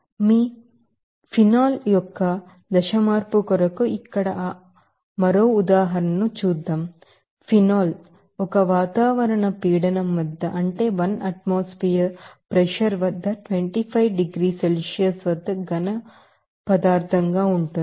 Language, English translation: Telugu, Now, let us have another example of that phase change here for phase change of your phenol will see that the phenol will be a solid phase at 25 degrees Celsius at one atmospheric pressure